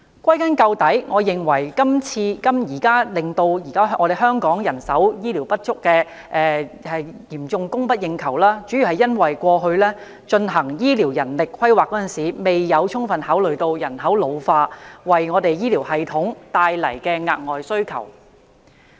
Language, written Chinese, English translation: Cantonese, 歸根究底，我認為造成今天香港醫護人手嚴重供不應求的主因，是政府過去進行醫療人力規劃時未有充分考慮人口老化為醫療系統帶來的額外需求。, I think the root cause of the acute shortage of healthcare personnel in Hong Kong today is the failure of the Government to adequately consider the extra healthcare demand arising from an ageing population in its planning for healthcare manpower